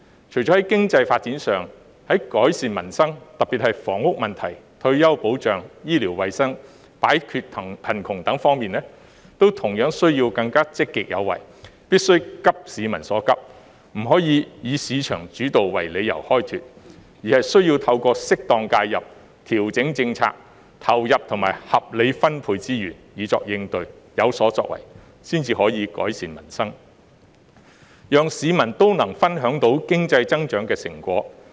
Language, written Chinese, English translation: Cantonese, 除了在經濟發展上，政府在改善民生，特別是房屋問題、退休保障、醫療衞生和擺脫貧窮方面，都同樣需要更積極有為，必須急市民所急，不能再以市場主導為理由開脫，而是需要透過適當介入、調整政策、投入和合理分配資源，以作應對，有所作為，才可改善民生，讓市民也能分享到經濟增長的成果。, The Government needs to be more proactive not only in economic development but also in addressing the pressing needs of the public in order to improve peoples livelihood especially the housing problem retirement protection healthcare and poverty alleviation . It should no longer take the market - led approach as an excuse but should respond or take action through appropriate intervention adjustment of policies injection and reasonable allocation of resources with a view to improving peoples livelihood so that the public can also share the fruits of economic growth